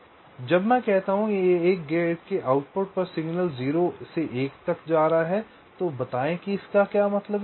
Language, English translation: Hindi, so when i say that the signal at the output of a gate is going from zero to one, let say what does this mean